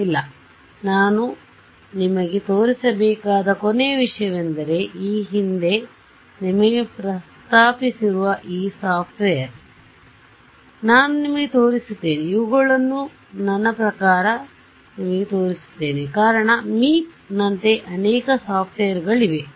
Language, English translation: Kannada, No ok so, the last thing that I want to show you is this software which I have mentioned to you previously, I will show you so, they have I mean I will show you the reason is I mean like Meep there are many many softwares